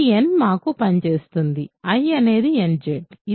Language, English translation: Telugu, This n will do the job for us, I is nZ